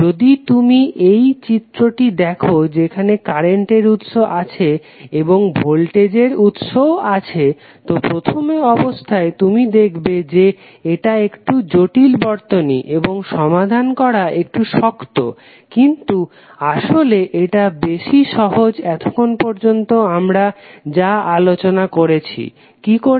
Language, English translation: Bengali, If you see this figure where current source is there, voltage source is also there so at first instant you see that this is a little bit complicated circuit and difficult to solve but actually it is much easier than what we discussed till now, how